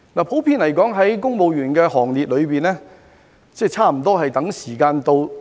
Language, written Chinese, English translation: Cantonese, 普遍而言，在公務員的行列中，差不多都在等時間到。, Generally speaking almost all civil servants are waiting for the time to come